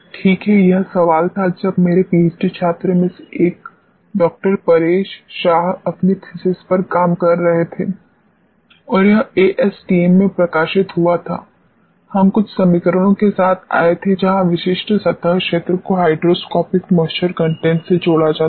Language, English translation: Hindi, Paresh Shah will working on his thesis and this is what was published in ASTM, we came up with some equations where specific surface area is linked to hygroscopic moisture content